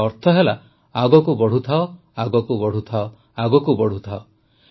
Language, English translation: Odia, It means keep going, keep going